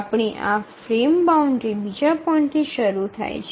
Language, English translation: Gujarati, So we have the frame boundary starting at this point